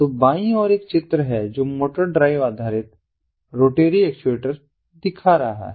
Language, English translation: Hindi, so this is an example of a motor drive based rotary actuator